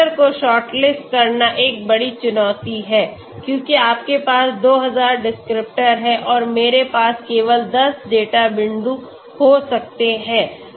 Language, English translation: Hindi, Shortlisting descriptors is a big challenge so because you have 2000 descriptors and I may have only 10 data points